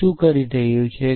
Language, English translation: Gujarati, What does it do